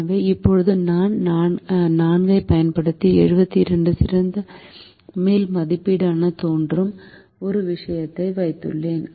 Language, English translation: Tamil, so now, using these four, we have come to a thing that seventy two looks the best upper estimate